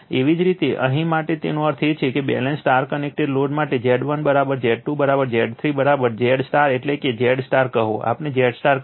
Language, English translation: Gujarati, Similarly for here, so that means that for a balanced star connected load say Z 1 is equal to Z 2 is equal to Z 3 is equal to Z Y that is Z star right, we call Z Y